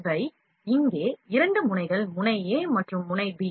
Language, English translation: Tamil, These are two nozzles here nozzle a and nozzle b